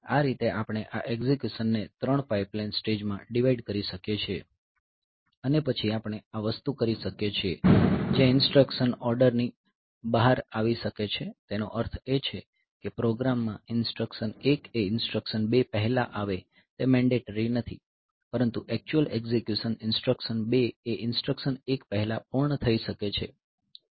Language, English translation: Gujarati, So, this way we can have this we can have this execution divided into 3 pipeline stages and then we can this thing there the instructions can commit out of order also means it is not mandatory that the in the program the instructions 1 comes before instruction 2, but the in the actual execution instruction 2 may be completed before instruction 1